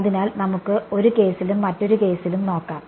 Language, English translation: Malayalam, So, let us look at in one case and another case over here ok